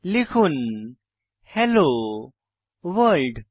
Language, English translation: Bengali, I will type hello world